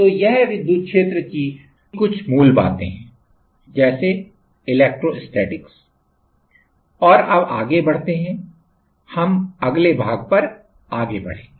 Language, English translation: Hindi, So, this is some basics of electric field like electrostatics and now move on, we will move on to the next part